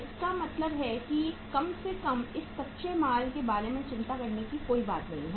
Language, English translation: Hindi, It means at least there is nothing to worry about this this raw material